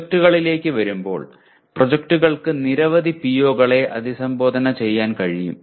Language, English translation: Malayalam, Coming to the projects, projects can potentially address many POs